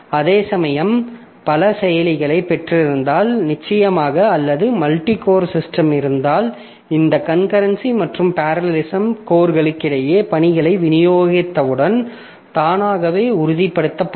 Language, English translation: Tamil, Whereas if you have got multiple processors, then of course or multi core system, then this parallelism and concurrency that is automatically ensured once you have distributed tasks among the course